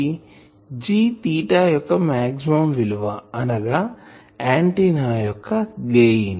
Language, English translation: Telugu, G is the maximum value of G theta that means the gain of the antenna